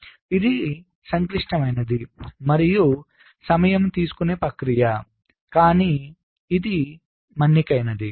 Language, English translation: Telugu, so it is, ah, complex and time consuming process, but it is durable, all right